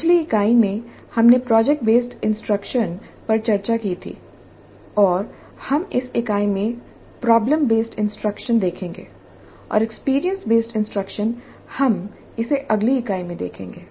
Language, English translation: Hindi, We discussed project based instruction in the last unit and we look at problem based instruction in this unit and experience based instruction we look at it in the next unit